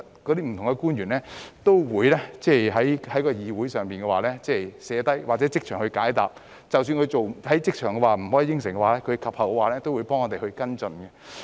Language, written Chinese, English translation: Cantonese, 官員可能會在會議上記下問題或即場解答，而即使無法即場作出承諾，及後也會替我們跟進。, They would either jot down the questions or answer them instantly at the meetings; and even if they cannot make an undertaking on the spot they would also follow up on the questions for us